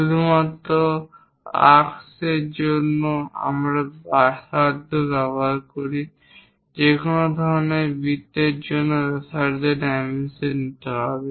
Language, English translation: Bengali, Only for arcs, we use radius for any kind of circles we have to go with diameter dimensioning